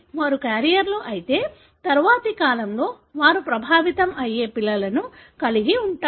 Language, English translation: Telugu, If they are carriers, they are likely to have children in the next generation which could be affected